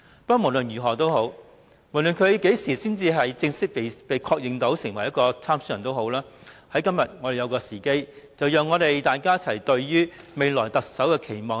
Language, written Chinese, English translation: Cantonese, 他們何時才正式被確認為參選人仍未可知，但今天卻是一個好時機讓大家談談對未來特首的期望。, It is still not known when their candidacy can be formally confirmed but today is a very good opportunity for us to say a few words on our expectations for the next Chief Executive